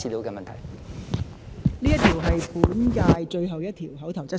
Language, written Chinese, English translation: Cantonese, 這是本屆立法會最後一項口頭質詢。, This is the last question seeking an oral reply in this term of the Legislative Council